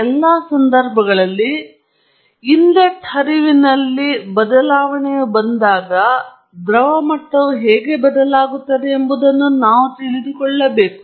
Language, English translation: Kannada, In all cases, we need to know how the liquid level changes, when there is a change in the inlet flow